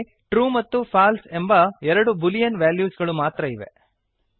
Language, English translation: Kannada, There are only two boolean values: true and false